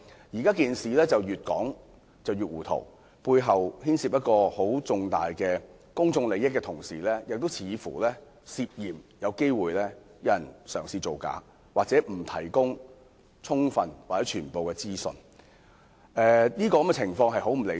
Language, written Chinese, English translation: Cantonese, 現在事情越說越糊塗，背後牽涉重大公眾利益，同時似乎有人試圖造假，又或沒有提供充分或全部的資訊，這種情況極不理想。, The more we know the more confused we are . This incident involves significant public interest and yet someone seems to be trying to make up a story or has failed to provide sufficient information or disclose the full picture . This situation is highly unsatisfactory